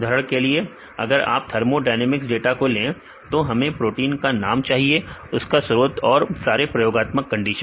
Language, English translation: Hindi, For example, if you take the thermo dynamic data we need the protein name and the source and the experimental conditions and all